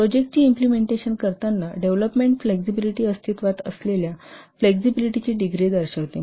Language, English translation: Marathi, Development flexibility represents the degree of flexibility that exists when implementing the project